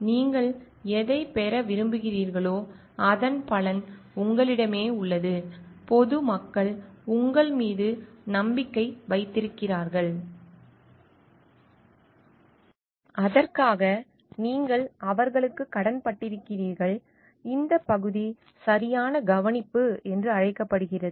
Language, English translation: Tamil, What you want to get is an outcome lies with you and there the public at large have a trust on you and for that you owe to them this like this part is called due care